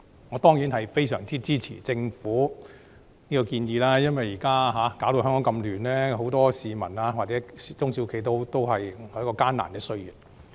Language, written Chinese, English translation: Cantonese, 我當然非常支持政府這項建議，因為現時香港這麼混亂，很多市民或中小型企業正處於艱難歲月。, Of course I support the Governments proposal as Hong Kong is in the midst of chaos and many small and medium enterprises SMEs are facing a difficult time